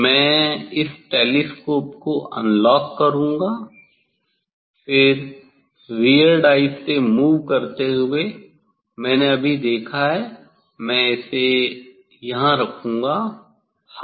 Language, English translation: Hindi, I will unlock this telescope, then move with weird eye I have seen now I will place it here I will place it here yes